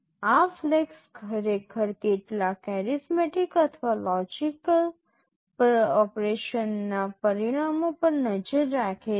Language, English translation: Gujarati, These flags actually keep track of the results of some arithmetic or logic operation